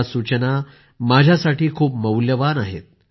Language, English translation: Marathi, These suggestions are very valuable for me